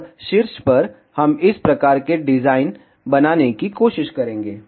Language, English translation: Hindi, And on the top, we will try to make this type of design